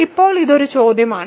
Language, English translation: Malayalam, So, that is the question